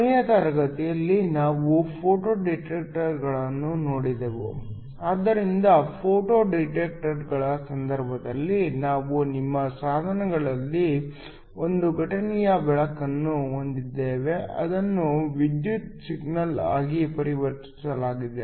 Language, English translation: Kannada, Last class we looked at Photo detectors, so in the case of Photo detectors we had an incident light on to your device which was converted into an electrical signal